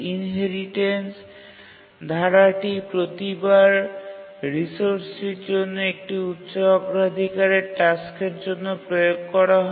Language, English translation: Bengali, And the inheritance clause is applied each time a high priority task requests a resource and is waiting